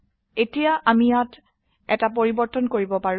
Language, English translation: Assamese, Now, we can make a change here